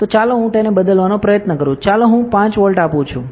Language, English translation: Gujarati, So, let me try to change it further let me give 5 volt let say